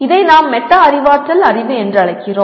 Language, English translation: Tamil, And this we are going to address what we call metacognitive knowledge